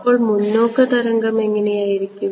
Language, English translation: Malayalam, So, what is the forward wave look like